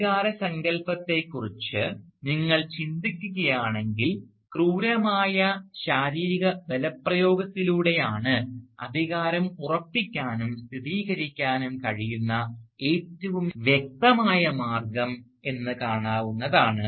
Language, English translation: Malayalam, Now, if you think about the concept of authority, you will notice that one of the most obvious ways in which authority can be asserted, and is asserted, is through the exercise of brute physical force